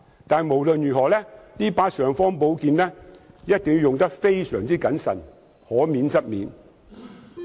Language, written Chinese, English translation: Cantonese, 但無論如何，這把"尚方寶劍"一定要用得非常謹慎，而且可免則免。, But in any case this imperial sword must be used very cautiously and should not be used as far as possible